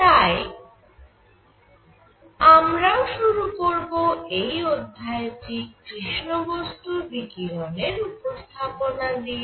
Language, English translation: Bengali, So, we are going to start this lecture with introduction to black body radiation